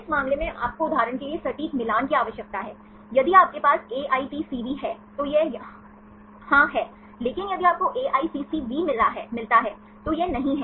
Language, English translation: Hindi, In this case you require the exact match for example, if you have AITCV, this is yes, but if you get AICCV this is not